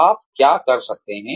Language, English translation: Hindi, What you can do